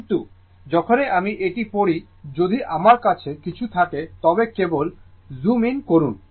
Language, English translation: Bengali, But, whenever you read it, if you have anything just simply you zoom it